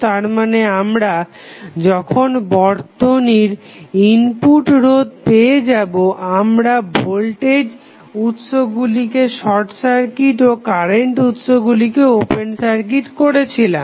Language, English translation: Bengali, That means when we found the input resistance of the circuit, we simply short circuited the voltage source and open circuit at the current source